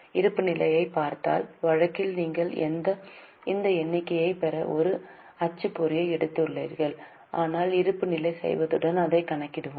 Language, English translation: Tamil, If you look at the balance sheet in case you have taken a print out, you can get this figure but we will calculate it once we do the balance sheet